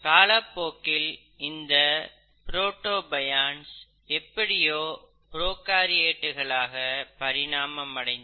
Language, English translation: Tamil, And somewhere down the line, the protobionts would have then evolved into prokaryotes